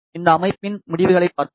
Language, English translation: Tamil, Let us have a look at the results of this system